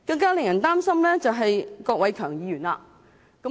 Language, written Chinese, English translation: Cantonese, 更令人擔心的是郭偉强議員。, Mr KWOK Wai - keung is even more worrying